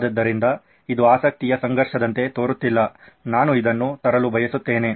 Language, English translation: Kannada, So does not this sound like a conflict of interest this is what I wanted to bring up